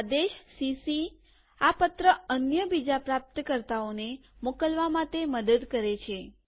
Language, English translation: Gujarati, Finally, the command cc helps mark this letter to other recipients